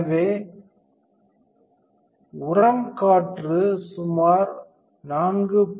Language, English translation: Tamil, So, the compost air is about 4